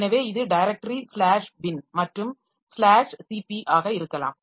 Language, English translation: Tamil, So, it may be the directory slash bin, okay, and slash CP